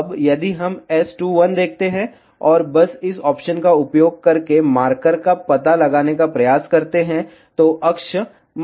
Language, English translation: Hindi, Now, if we see S2, 1, and just try to locate the marker using this option, axis marker